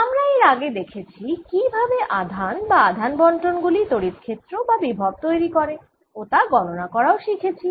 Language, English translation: Bengali, so far we have looked at how charges or charged distributions give rise to electric field and potential and how to calculate them